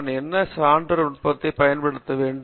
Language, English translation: Tamil, What sort of proof technique should I use